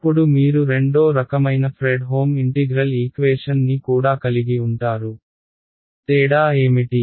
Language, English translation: Telugu, Then you also have a Fredholm integral equation of the 2nd kind, what is the difference